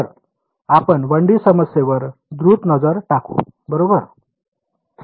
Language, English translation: Marathi, So, we will take a quick look at a 1D problem ok